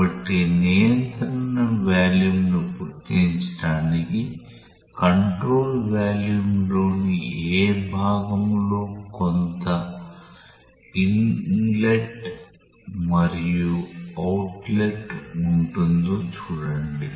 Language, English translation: Telugu, So, to identify control volume see what part of the control volume will have some inlet and outlet